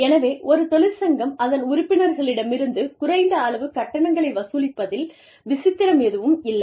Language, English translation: Tamil, So, there is nothing strange about, a union collecting, some minimal fees, from its members